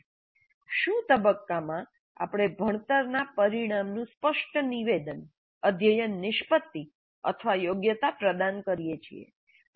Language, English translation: Gujarati, So in the what phase we provide a clear statement of the learning outcome, the course outcome or the competency